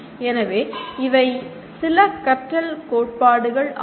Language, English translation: Tamil, So these are some of the learning theories